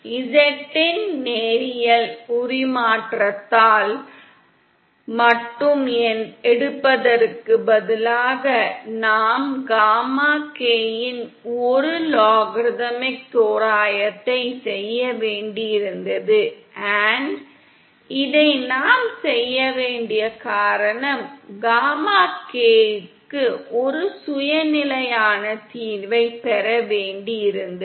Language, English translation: Tamil, Instead of taking just the by linear transform of z we had to do a logarithmic approximation of the gamma k & the reason we had to do this is we had to obtain a self consistent solution for gamma k